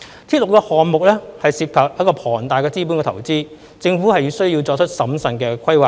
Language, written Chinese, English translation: Cantonese, 鐵路項目涉及龐大的資本投資，政府需要作出審慎的規劃。, Railway projects involve huge capital investment and require careful planning by the Government